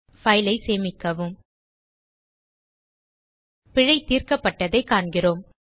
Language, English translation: Tamil, Save the file we see that the error is resolved